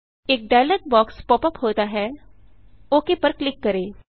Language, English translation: Hindi, A dialog box pops up, lets click OK